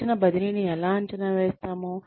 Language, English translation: Telugu, How do we evaluate the transfer of training